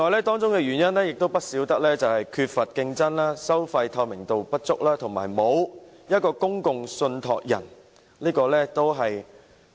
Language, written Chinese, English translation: Cantonese, 當中的原因包括缺乏競爭、收費透明度不足，以及欠缺公共信託人。, The reasons include inter alia a lack of competition a lack of transparency in the fees and the absence of a public trustee